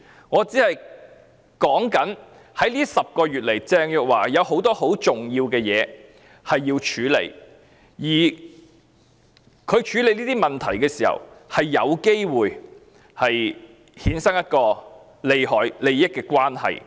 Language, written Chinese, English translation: Cantonese, 在這10個月裏，鄭若驊有很多很重要的事情要處理，而她在處理這些問題時，有機會衍生一種利益關係。, In these 10 months Teresa CHENG had a lot of important issues to deal with and interests might be derived when she dealt with these issues